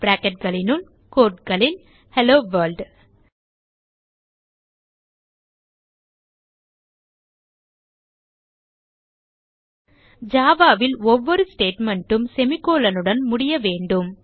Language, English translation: Tamil, In brackets in quotes type, HelloWorld In java, Every statement has to end with a semicolon